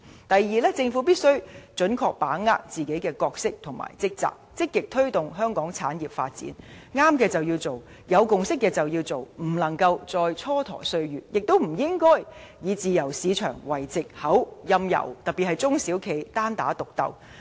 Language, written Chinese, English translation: Cantonese, 第二，政府必須準確履行自己的角色和職責，積極推動香港產業發展，正確的便要做，有共識的便要做，不能再蹉跎歲月；亦不應以自由市場為藉口，任由企業，特別是中小企單打獨鬥。, Second the Government must get ready for fulfilling its own roles and functions to actively promote the development of various sectors in Hong Kong . We can no longer idle our time away and must take action where it is right and where consensus is reached . Likewise we should not allow private enterprises SMEs in particular to fight on their own under the pretence of free market